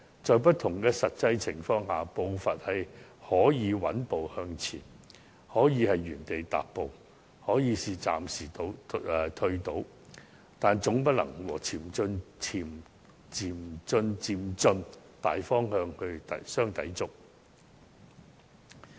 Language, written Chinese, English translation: Cantonese, 在不同的實際情況下，步伐可以是穩步向前，可以是原地踏步，也可以是暫時倒退，但總不能和循序漸進的大方向相抵觸。, Under different scenarios of actual situations the pace can be steadily moving forward having a standstill or even temporarily stepping backward . But overall the pace cannot contradict the general direction of achieving this gradually and orderly